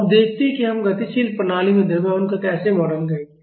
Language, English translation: Hindi, Now, let us see how we will model the mass in a dynamic system